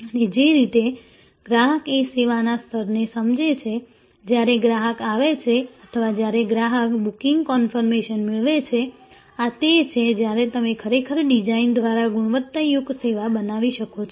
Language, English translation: Gujarati, And the way, the customer is a perceives the service level, when the customer arrives or when the customer receives the booking conformation; that is where actually you can create quality service by design